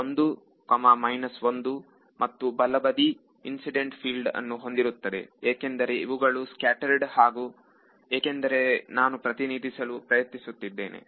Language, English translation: Kannada, 1, 1 and the right hand side will have incident field because these are scattered these are total because I am trying to represent